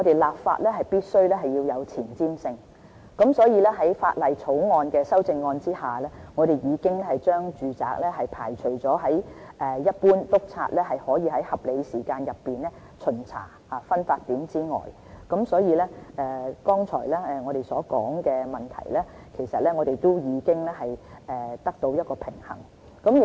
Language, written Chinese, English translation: Cantonese, 立法必需有前瞻性，所以，在《條例草案》的修正案下，我們已將住宅排除在一般督察可以在合理時間內調查的分發點之外，所以，剛才我們所提及的問題，都已經得到平衡。, We must plan for the future when we enact a piece of legislation . Therefore by way of the amendments to the Bill we have excluded domestic premises from the definition of distribution point which inspectors can enter and inspect at a reasonable time . In this respect we have already found a balance as far as the problem mentioned above is concerned